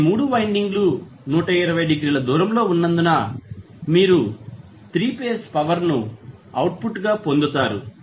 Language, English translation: Telugu, So, since these all 3 windings are 120 degree apart you will get 3 phase power as a output